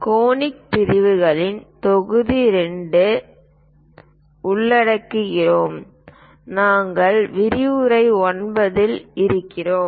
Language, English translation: Tamil, We are covering module number 2 on Conic sections, we are at lecture number 9